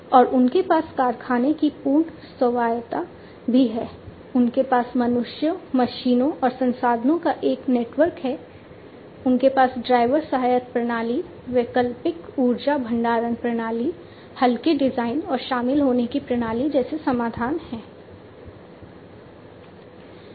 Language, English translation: Hindi, And they also have the full autonomy of factory, they have a network of humans, machines and resources, they have solutions like driver assistance system, alternative energy storage system, lightweight design, and joining system